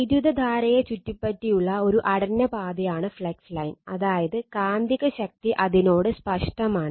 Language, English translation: Malayalam, A line of flux is a closed path around the current such that the magnetic force is tangential to it is all point around the line